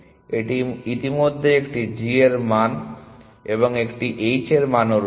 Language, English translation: Bengali, So, it already has a g value and an h value as well